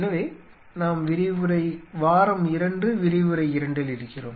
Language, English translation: Tamil, So, we are into week 2 lecture 2